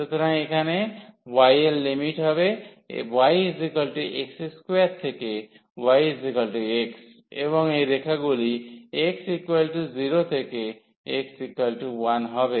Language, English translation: Bengali, So, here the limits of y will be y is equal to x square to y is equal to x and such lines are moving from x is equal to 0 to x is equal to 1